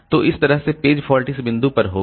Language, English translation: Hindi, So, this way the page fault will occur at this point